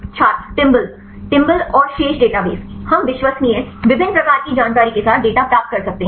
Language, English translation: Hindi, Timbal Timbal and the remaining databases, we can get the data with reliable, different types of information